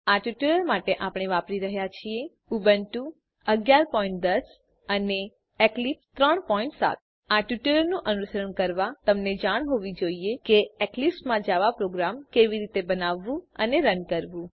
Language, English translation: Gujarati, For this tutorial we are using Ubuntu 11.10 and Eclipse 3.7 To follow this tutorial you must know how to create and run a Java Program in Eclipse